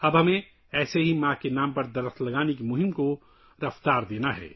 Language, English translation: Urdu, Now we have to lend speed to the campaign of planting trees in the name of mother